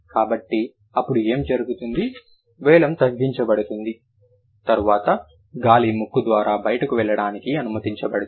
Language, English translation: Telugu, The vealum gets lowered and then the the air is allowed to flow out through the nose